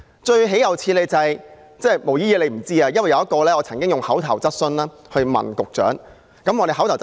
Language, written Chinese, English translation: Cantonese, 最豈有此理的是——"毛姨姨"不知道此事——我曾經向局長提出口頭質詢。, What is most unacceptable is―Auntie MO does not know this―I had raised an oral question to the Secretary